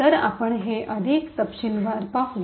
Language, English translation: Marathi, So, let us see this more in detail